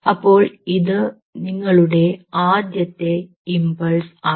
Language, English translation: Malayalam, so this is your first impulse coming through